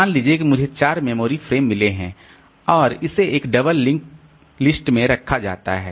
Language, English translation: Hindi, Suppose I have got 4 memory frames and it is kept in a doubly link list